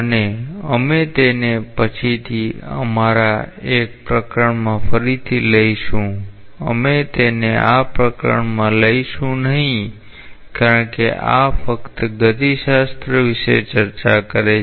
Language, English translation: Gujarati, And we will again take it up later on in one of our chapters, we will not take it up in this chapter because these just bothers about the kinematics